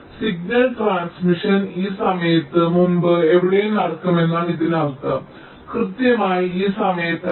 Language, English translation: Malayalam, it means that the signal transmission can take place anywhere before this time not exactly at this time, right